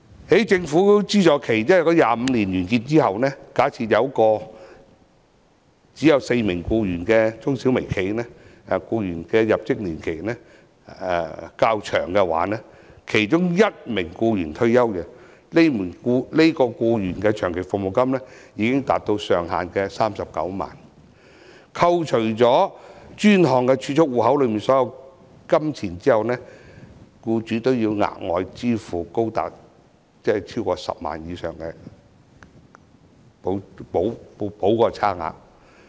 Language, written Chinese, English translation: Cantonese, 在政府資助期25年完結之後，假設一間只有4名僱員的中小微企，如果它的僱員入職年期較長，其中一名僱員退休，這名僱員的長期服務金已經達到上限的39萬元，扣除專項儲蓄戶口內所有金錢後，僱主還要額外支付高達10萬元以上的差額。, For example at the end of the 25 - year subsidy period an MSME with only four staff members who have long years of service one of them will retire soon . The LSP for this employee already reaches the 390,000 ceiling . After deducting the money in the designated savings account the employer still has to pay 100,000 or more to make up the outstanding LSP